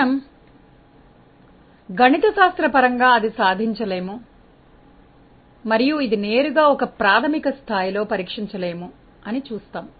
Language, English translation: Telugu, We will see that mathematically it will not be able to; will not be able to reflect this directly in such an elementary level